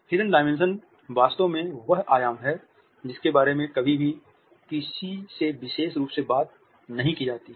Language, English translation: Hindi, The Hidden Dimension is in fact, the dimension which is never talked about specifically by anybody